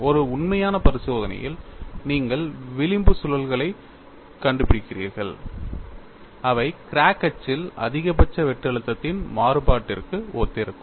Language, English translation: Tamil, In an actual experimentation, you do find fringe loops, and they correspond to variation of maximum shear stress along the crack axis